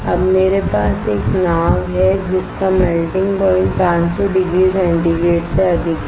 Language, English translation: Hindi, Now I have a boat which it is melting point is way higher than 500 degree centigrade